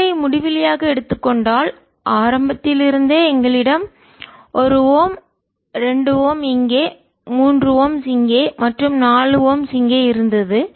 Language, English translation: Tamil, one could also look at it directly: if we took r to be infinity right from the beginning, we had one on ohm, two ohms here, three ohms here and four ohm here